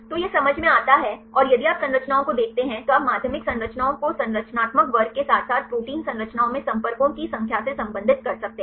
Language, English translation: Hindi, So, it makes sense and if you see the structures, you can relate the secondary structures the structural class as well as the number of contacts in protein structures